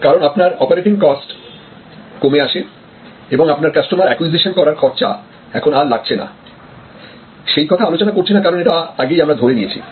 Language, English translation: Bengali, Because, your operating cost also come down and we are not also discussing that you no longer have a customer acquisition cost that is already given that we have discussed before